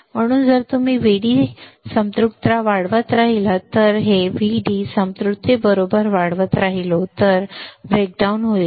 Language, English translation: Marathi, So, if you keep on increasing VD saturation, if I keep on increasing this VD saturation right it will cause a breakdown